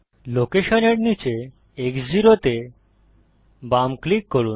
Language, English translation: Bengali, Left click X 0 under location